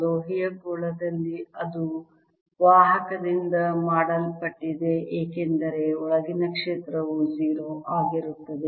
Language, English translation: Kannada, in a metallic sphere, because that's made of a conductor, the field inside would be zero, right